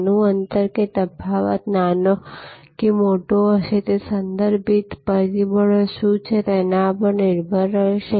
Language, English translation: Gujarati, And that whether the gap will be small or larger will depend on what are the contextual factors